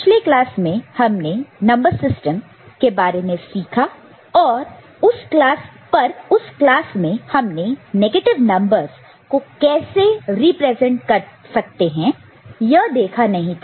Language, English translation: Hindi, So, we had got introduced to number system in the previous class, but in that we did not discuss how to represent negative numbers